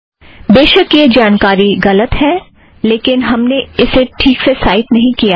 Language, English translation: Hindi, But of course this information is not correct yet, we are not citing them properly